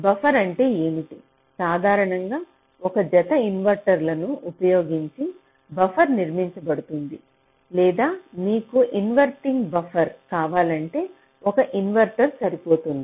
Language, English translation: Telugu, buffer is typically constructed using a pair of inverters, or if you want an inverting buffer, then a single inverter can also suffice